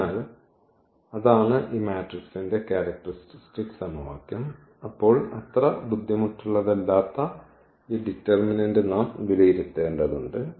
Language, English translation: Malayalam, So, that is the characteristic equation of this matrix and then we have to evaluate this determinant which is not so difficult